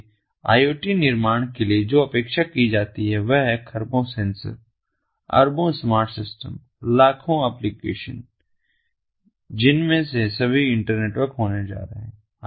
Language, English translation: Hindi, so what is expected, in order to build iot, is to have trillions of sensors, billions of smart systems, millions of applications, all of which are going to be internetwork